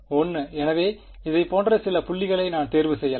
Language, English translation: Tamil, 1; so, I could choose some points like this right